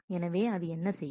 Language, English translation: Tamil, So, what does it do